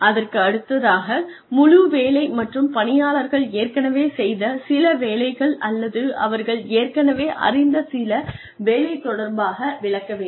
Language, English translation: Tamil, The next part is, explain the whole job, and related to some job, the worker has already done, or some job that, the worker already knows